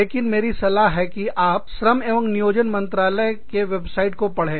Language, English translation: Hindi, But, i suggest that, you go through, the website of the, Ministry of Labor and Employment